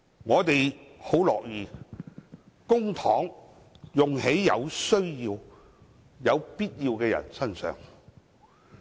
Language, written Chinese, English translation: Cantonese, 我們很樂意將公帑用於有需要的人身上。, We are pleased to see public money being spent on those with genuine needs